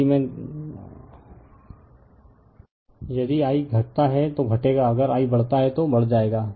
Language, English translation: Hindi, If I decreases, phi will decrease; if I increases, phi will increase right